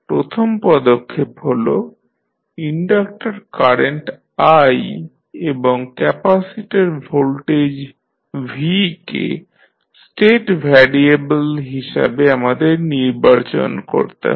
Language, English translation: Bengali, We will first select inductor current i and capacitor voltage v as the state variables